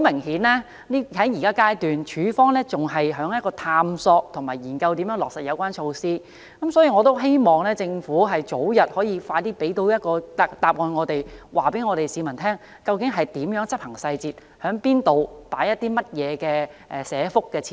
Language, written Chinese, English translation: Cantonese, 顯然，在現階段，署方仍在探索和研究如何落實有關措施，所以我希望政府可以早日向我們提供答案，告訴市民具體執行細節，包括在哪個社區設立哪些社福設施。, It is obvious that the Department is still exploring and studying how to implement the measures at the present stage and I hope that the Government will provide us with an early answer and tell the public specific details about the implementation including the districts in which the facilities are to be provided . Many districts are suffering from an acute shortage of welfare facilities